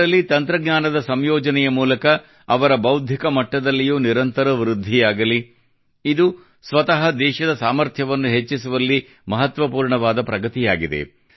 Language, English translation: Kannada, A continuous rise in their intellectual properties through the combination of technology this in itself is an important facet of progress in enhancing the capability of the country